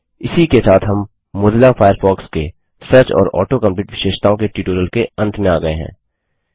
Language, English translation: Hindi, This concludes this tutorial of Mozilla Firefox Searching and Auto complete features